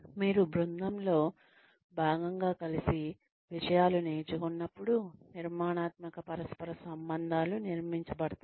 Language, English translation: Telugu, Constructive interpersonal relationships would be built, when you learn things together, as part of a team